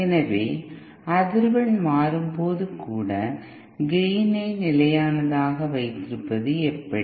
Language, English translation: Tamil, So how to keep the gain constant even when the frequency is changing